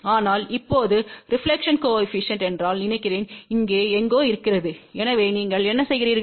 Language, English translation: Tamil, But now suppose if the reflection coefficient is somewhere here , so what you do